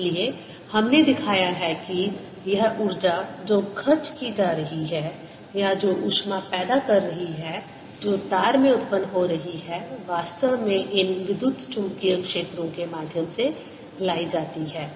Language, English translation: Hindi, so we have shown that this energy which is being spent or which is being the heat which is being produced in the wire is actually brought in through these electromagnetic fields